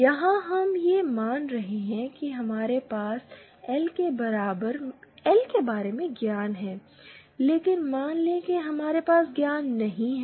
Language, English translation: Hindi, Here we are assuming that we have knowledge about L but suppose we do not have knowledge